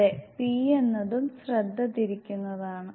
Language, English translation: Malayalam, Yes p is also the distracter